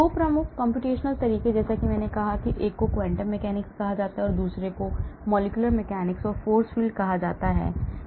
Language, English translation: Hindi, 2 major computational methods as I said, one is called the quantum mechanics, the other is called the molecular mechanics or force field